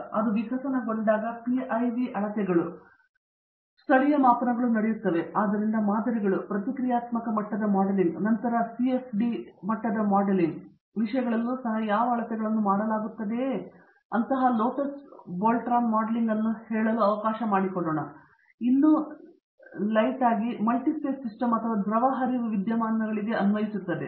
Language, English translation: Kannada, But as it evolved letÕs say PIV measurements, local measurements were done, so the depth to which measurements were done or even let say even in terms of modeling, reactive level modeling and then CFD level modeling now, let say lattice Boltzmann modeling so, but still applied to a letÕs say a multiphase system or a fluid flow phenomena